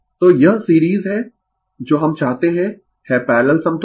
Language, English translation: Hindi, So, this is series, what we want is parallel equivalent right